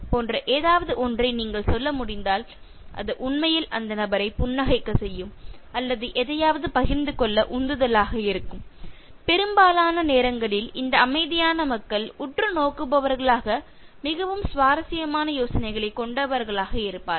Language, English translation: Tamil, So that will actually make the person smile or feel motivated to share something and most of these times these silent people, quite observers are the ones who have very interesting ideas